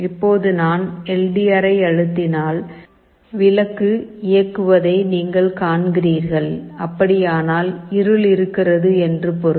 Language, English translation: Tamil, Now if I press the LDR, you see the bulb is getting switched on; that means, there is darkness